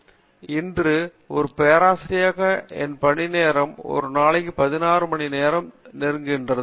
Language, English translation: Tamil, Today as a professor my working schedule is close to 16 hours a day